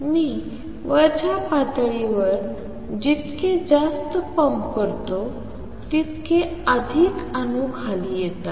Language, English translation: Marathi, More I pump to upper level, more the more atoms come down